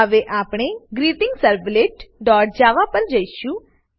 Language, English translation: Gujarati, Let us see the GreetingServlet.java